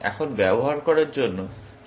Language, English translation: Bengali, What is the correct strategy to use here